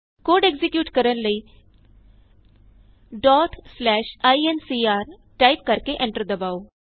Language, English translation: Punjabi, To execute Type ./ incr.Press Enter